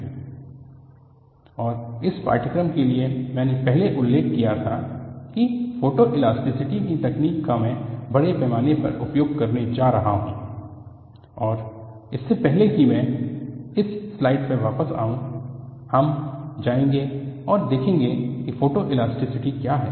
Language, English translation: Hindi, And for this course, I had mentioned earlier that I am going to use extensively, the technique of photoelasticity, and what I will do is, before I come back to this slide, we will go and see what is photoelastcity